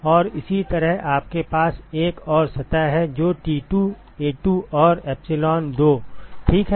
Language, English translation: Hindi, And similarly you have another surface which is T2 A2 and epsilon2 ok